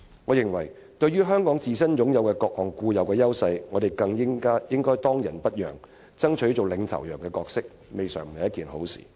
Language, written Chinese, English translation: Cantonese, 我認為，對香港自身擁有的各項固有優勢，我們更應當仁不讓，爭取當"領頭羊"的角色，這未嘗不是好事。, I think that given Hong Kongs various long - standing advantages we should strive to take up the role as the pioneer without hesitation . This can be something good